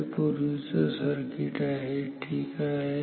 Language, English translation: Marathi, This is the previous circuit ok